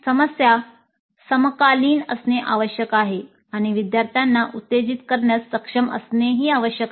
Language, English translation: Marathi, Problems must be contemporary and be able to excite the students